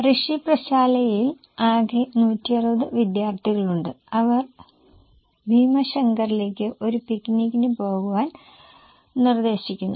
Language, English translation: Malayalam, So, Rishi Patshalla has total of 160 students and they are proposing to go for a picnic to Bhima Shankar